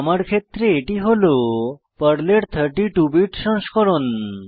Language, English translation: Bengali, In my case, It will be 32 bit version of PERL